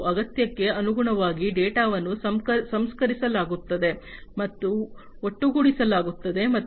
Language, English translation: Kannada, And as per the requirement, the data is processed and aggregated